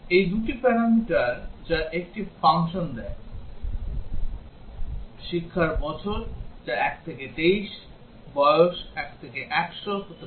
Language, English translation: Bengali, These are 2 parameters which a function takes; years of education which can be 1 to 23, and age which is 1 to 100